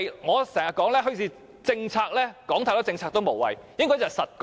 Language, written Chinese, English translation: Cantonese, 我經常說"墟市政策"，單說太多"政策"也無謂，應該要實幹。, We discuss the bazaar policy very often but I think that it is unnecessary to talk too much about this policy for I believe that practical efforts are essential